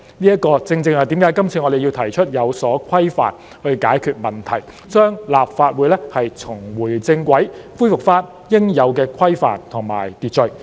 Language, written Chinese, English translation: Cantonese, 這正是為何我們這次要提出有關規定以解決問題，讓立法會重回正軌，恢復應有的規範和秩序。, This is exactly why we have to propose the relevant stipulations on this occasion to resolve the problems so as to enable the Legislative Council to get back on track and restore its rules and order